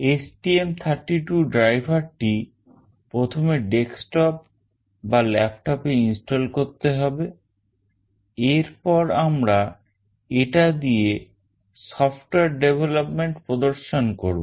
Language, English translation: Bengali, The STM32 driver must first be installed on the desktop or laptop, then we will demonstrate the software development using this